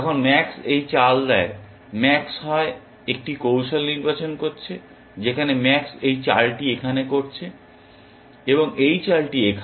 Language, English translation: Bengali, When max makes this move, max is either selecting a strategy in which max is making this move here, and this move here